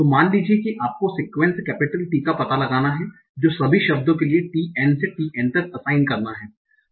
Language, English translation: Hindi, So suppose that you have to find out a sequence capital T so that assigns T1 to TN for all of these N words